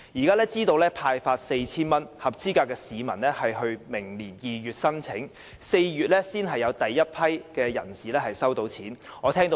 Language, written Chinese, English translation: Cantonese, 根據現時派發 4,000 元的安排，合資格的市民須在明年2月提出申請，並要到4月才有第一批人士可以取得款項。, According to the present arrangement of handing out 4,000 all eligible members of the public are required to submit their applications in February next year but the first batch of recipients will not receive the payment until April